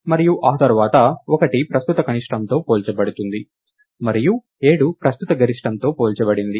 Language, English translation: Telugu, And after that 1 is compared with a current minimum, and 7 is compared with the current maximum